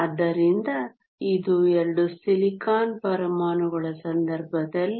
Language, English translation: Kannada, So, this is in the case of 2 silicon atoms